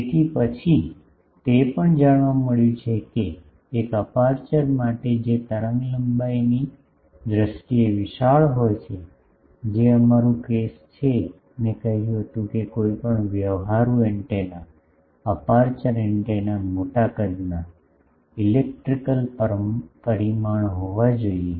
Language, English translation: Gujarati, So, then, also it has been seen that for an aperture that is large in terms of wave length, which is our case I said that any practical antenna, aperture antenna should be sizable dimension, electrical dimension